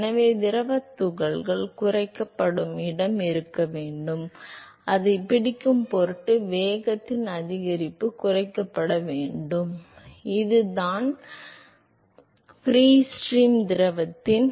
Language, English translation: Tamil, So, therefore, there has to be location where the fluid particles are decelerated so that the increase in the velocity in order to catch up must be decelerated so that it reaches to same velocity as that of the upstream as that of the free stream fluid